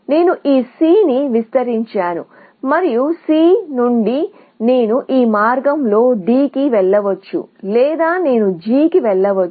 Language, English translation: Telugu, I expand this C and from C, I can go either to D, along this path, or I can go to G